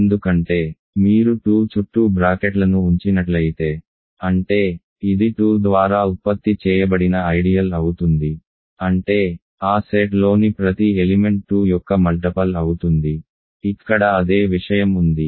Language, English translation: Telugu, This because there it was if you put brackets around 2; that means, the, it is ideal generated by 2; that means, every elements of that set is a multiple of 2; it is the same thing here